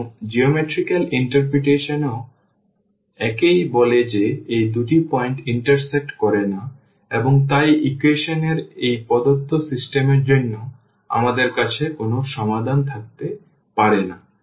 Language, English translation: Bengali, And, the geometrical interpretation also says the same that these two lines they do not intersect and hence, we cannot have a solution for this given system of equations